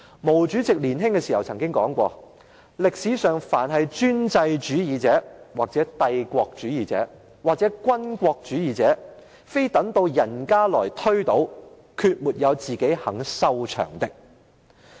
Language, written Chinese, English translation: Cantonese, 毛主席年輕時說過："歷史上凡是專制主義者，或帝國主義者，或軍國主義，非等到人家來推倒，決沒有自己肯收場的。, Chairman MAO said at an early age the autocrats the imperialists or the militarists in history were toppled by others; none of them was willing to step down up on his own accord